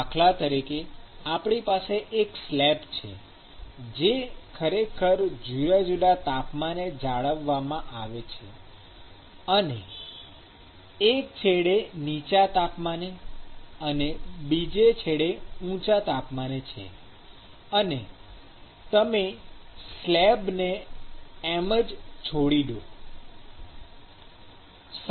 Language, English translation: Gujarati, For instance, we may have a slab which is actually maintained at different temperatures and one at a higher and one at a lower temperature; and you just leave the slab as it is